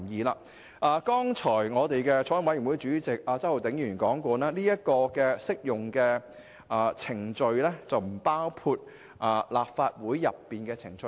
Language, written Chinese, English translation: Cantonese, 法案委員會主席周浩鼎議員剛才已提到，按"適用程序"的涵義，它並不包括立法會的程序。, Mr Holden CHOW Chairman of the Bills Committee has already mentioned that with the meaning given in the Bill Legislative Council proceedings are not applicable proceedings